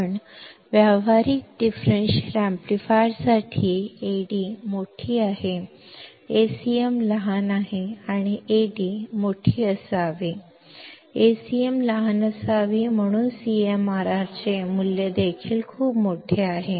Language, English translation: Marathi, But for a practical differential amplifier; Ad is large, Acm is small; this cm should be in subscript, Ad should be in subscript; and Ad should be large, Acm should be small hence the value of CMRR is also very large